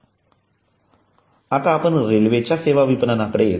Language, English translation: Marathi, so coming to the railways service marketing